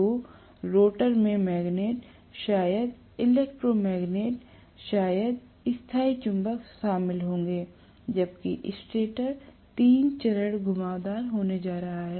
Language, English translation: Hindi, So, the rotor will consist of magnets, maybe electromagnet, maybe permanent magnet, whereas I am going to have the stator having the three phase winding